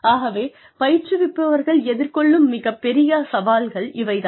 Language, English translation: Tamil, So, that is a big challenge for people, for the trainers